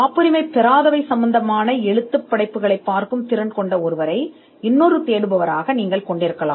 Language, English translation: Tamil, You could have another searcher who is who has the competence to look at non patent literature searches